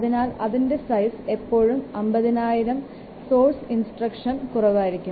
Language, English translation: Malayalam, So, normally its size is less than or should be less than 50,000 delivered source instructions